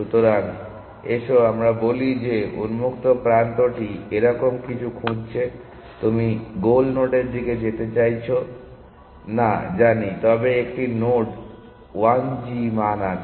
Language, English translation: Bengali, So, let us say the open is looking something like this, you know refusing to go towards the goal node, but there is a node n 1 g value